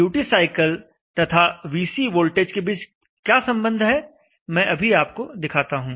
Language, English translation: Hindi, What is the relationship between the duty cycle and the VC voltage, let me just show you